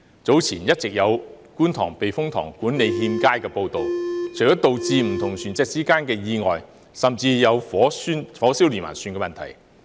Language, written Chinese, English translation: Cantonese, 早前一直有觀塘避風塘管理欠佳的報道，除了導致不同船隻之間的意外，甚至有火燒連環船的問題。, Earlier on there have been reports about the poor management of the Kwun Tong Typhoon Shelter which resulted in not only accidents between vessels but even a fire which spread to the adjacent boats